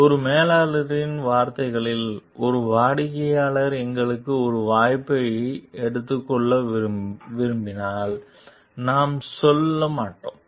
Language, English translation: Tamil, So, in one manager s words, if a customer wants us to take a chance we won t go along